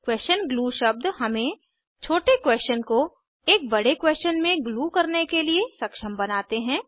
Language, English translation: Hindi, Question glue words enable us to glue small questions into one big question